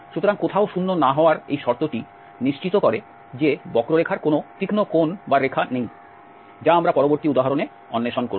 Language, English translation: Bengali, So, this condition nowhere 0 ensures that the curve has no sharp corner or curves this we will explore in the next example